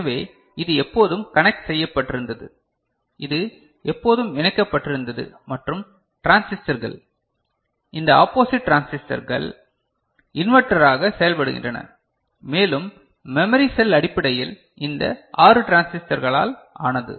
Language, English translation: Tamil, So, this was always connected, this was always connected and the transistors; these opposite transistors were acting as inverter and the memory cell was you know was basically made up of these 6 transistors put together, right